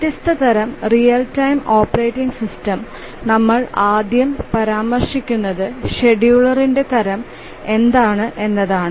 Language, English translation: Malayalam, As we will look at different real time operating system, the first thing we will mention is that what is the type of the scheduler